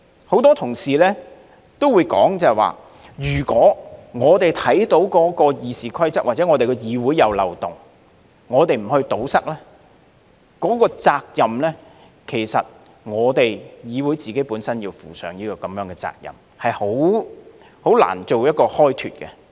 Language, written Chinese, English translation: Cantonese, 很多同事也會說，如果我們看到《議事規則》或議會內有漏洞而不加以堵塞，其實議會要負上責任，是很難開脫的。, Many Members have argued that if we do not plug the loopholes in the Rules of Procedure or the legislature we in the legislature should actually be held responsible and cannot possibly avoid the blame